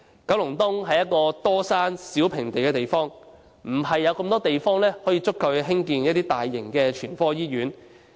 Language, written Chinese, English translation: Cantonese, 九龍東是多山少平地的地方，沒有足夠地方興建大型全科醫院。, Kowloon East is a place with more hills than flat land . There is not sufficient space for the construction of a large general hospital